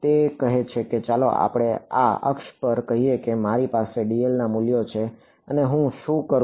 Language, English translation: Gujarati, It says that let us say on this axis I have values of dl and what do I do